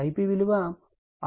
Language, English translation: Telugu, I p is 6